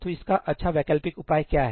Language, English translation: Hindi, So, what is a good alternative to that